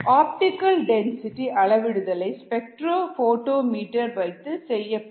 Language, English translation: Tamil, the optical density, the so called optical density, is measured by using a spectrophotometer